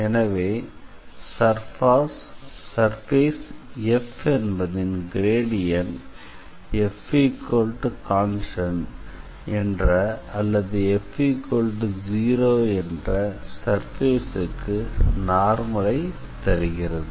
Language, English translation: Tamil, So, the gradient of F is actually a normal to the curve F is equal to some constant or F equals to 0